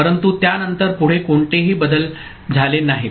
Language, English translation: Marathi, But after that no further changes are there